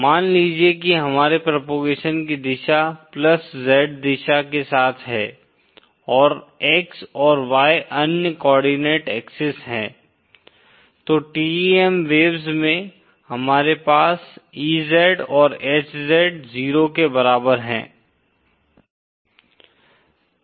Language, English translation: Hindi, Suppose our direction of propagation is along the +Z direction and X and Y are the other coordinate axis, then in TEM waves, we have EZ equal to HZ equal to 0